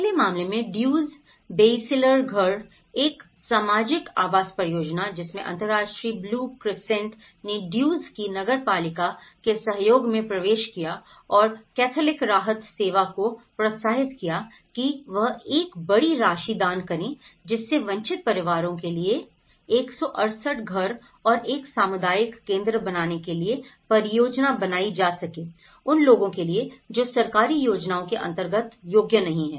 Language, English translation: Hindi, In the first case, Duzce, Beyciler houses, social housing project, the international blue crescent entered into a cooperation of the municipality of the Duzce and encouraged the Catholic Relief Services to donate about a huge sum of amount to realize a project of 168 houses and a community centre for disadvantaged families, who were not qualified in the government schemes